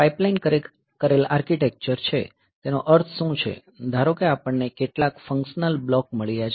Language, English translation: Gujarati, So, pipelined architecture, what do you mean by that, is that suppose we have got some functional block, ok